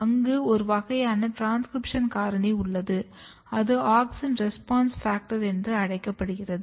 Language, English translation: Tamil, There is a class of transcription factor which is called auxin response factor